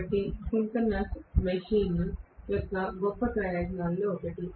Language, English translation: Telugu, So this is one of the greatest advantages of the synchronous machine